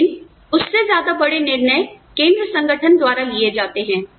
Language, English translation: Hindi, But, decisions, any higher than that, are made by a central organization